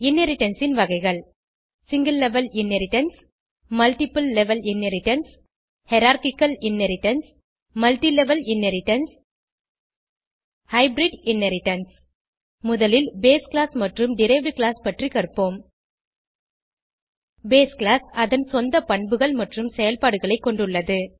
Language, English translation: Tamil, Types of Inheritance Single level inheritance Multiple level inheritance Hierarchical Inheritance Multilevel inheritance Hybrid Inheritance First let us know about the base class and the derived class